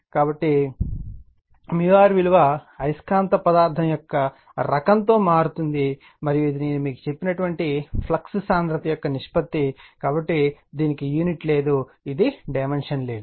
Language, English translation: Telugu, So, mu r varies with the type of magnetic material, and since it is a ratio of flux densities I told you, it has no unit, it is a dimensionless